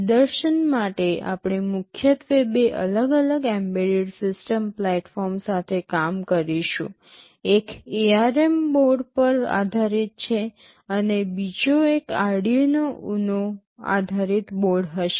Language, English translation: Gujarati, As the vehicle of demonstration we shall be primarily working with two different embedded system platforms; one is based on an ARM based board and the other one will be a standard Arduino Uno based board